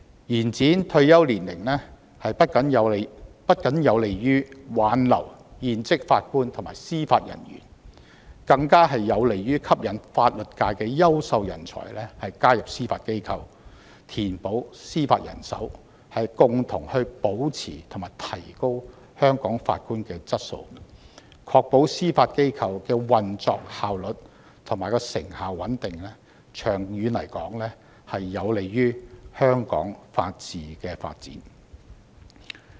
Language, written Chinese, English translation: Cantonese, 延展退休年齡不僅有利於挽留現職法官及司法人員，更有利於吸引法律界的優秀人才加入司法機構，填補司法人手，共同保持並提高香港法官的質素，確保司法機構的運作效率、成效和穩定，長遠有利於香港的法治發展。, Extending the retirement ages will be conducive to not only retaining serving Judges and Judicial Officers but also attracting outstanding talent from the legal sector to join the Judiciary thereby filling the judicial manpower gap jointly maintaining and enhancing the quality of Judges in Hong Kong ensuring the operational efficiency effectiveness and stability of the Judiciary and benefiting the development of the rule of law in Hong Kong long term